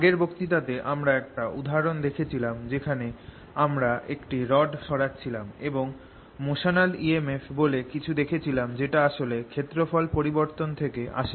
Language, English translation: Bengali, in this previous lecture we saw through an example where we moved a rod out that there was something further motional e m f which actually comes from change of area